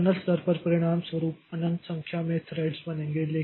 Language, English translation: Hindi, So as a result at the kernel level also, infinite number of threads will get created